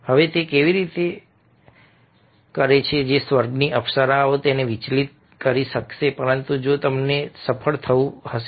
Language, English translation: Gujarati, now, how is it that the apsaras of heaven will be able to distract him